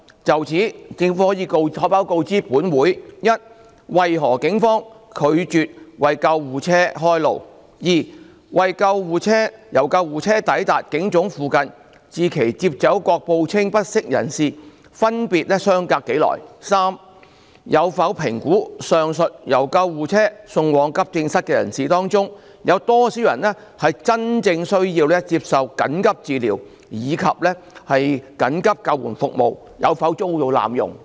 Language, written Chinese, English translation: Cantonese, 就此，政府可否告知本會：一為何警方拒絕為救護車開路；二由救護車抵達警總附近至其接走各報稱不適者分別相隔多久；及三有否評估，上述由救護車送往急症室的人士當中，有多少人真正需要接受緊急診治，以及緊急救護服務有否遭濫用？, In this connection will the Government inform this Council 1 of the reasons why the Police refused to clear the way for the ambulances; 2 of the respective durations between the ambulances arrival in the vicinity of PHQ and their departure upon picking up the various persons who reported feeling unwell; and 3 whether it has assessed among the aforesaid persons who were conveyed to the AE department by ambulance the number of those who had a genuine need for receiving emergency diagnoses and treatments and if emergency ambulance service had been abused?